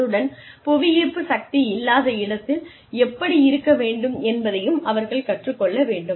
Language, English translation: Tamil, So they need to learn, how to deal with less gravity